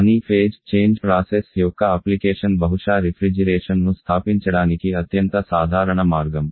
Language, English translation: Telugu, But the one that is application of the phase change process probably is the most common way of establishing refrigeration